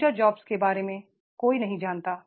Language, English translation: Hindi, Nobody knows about the future jobs